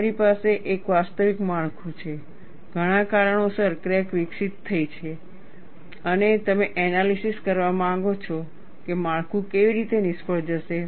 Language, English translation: Gujarati, You have a actual structure, because of several reasons, cracks are developed and you want to analyze how the structure is going to fail, that is a different issue